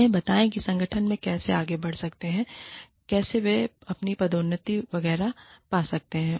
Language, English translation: Hindi, Tell them, how they can go ahead in the organization, how they can get their promotions, etcetera